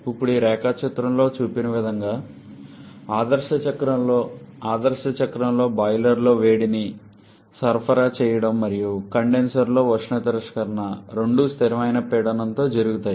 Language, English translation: Telugu, Now in ideal cycle like shown in this diagram, in the ideal cycle both the heat addition in the boiler and heat rejection in the condenser are done at constant pressure